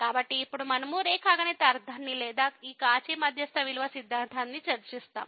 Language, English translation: Telugu, So, if you now we discuss the geometrical meaning or the of this Cauchy mean value theorem